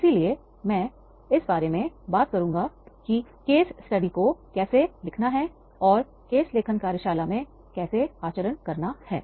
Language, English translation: Hindi, So I will be talking about that is how to write the case study and how to conduct the case writing workshop